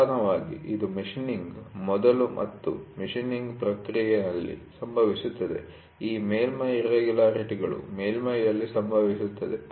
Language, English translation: Kannada, Predominantly, this happens on a process before machining and during the process of machining these surface irregularities happened on the surface